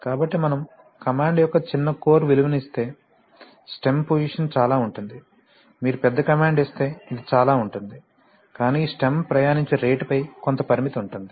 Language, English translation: Telugu, So if you give a small core value of command this, the stem position will be this much, if you give a large command, it will be this much, but you see there is a certain restriction on the rate at which these stem can travel, right